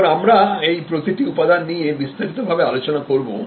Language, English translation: Bengali, So, let us now see each one of these elements more in detail